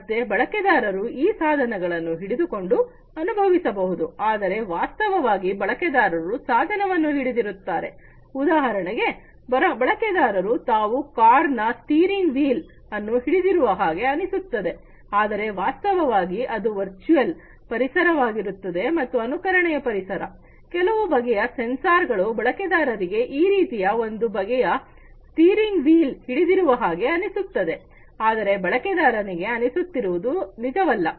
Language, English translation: Kannada, So, user can hold devices and feel that actually the user is holding the device; for example, a user might feel that the user is holding the steering wheel of a car, but the actually its a virtual environment and in immulated environment, there are certain sensors which will give the feeling to the user that the user is holding a particular steering wheel of the car, but actually the user is not feeling